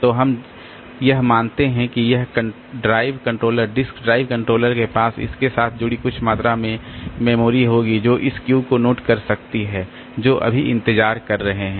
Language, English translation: Hindi, So, we assume that this drive controller, that this drive controller it will have some amount of memory associated with it that can keep a note of this Q, the request that are waiting now